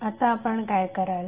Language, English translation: Marathi, So what you will do